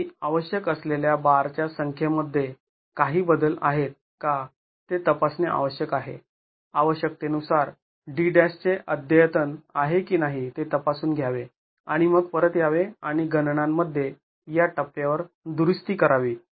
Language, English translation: Marathi, However, one must check if there are changes in the number of bars required, one must check if there is an update of D D that is required and then come back and correct the calculations at this stage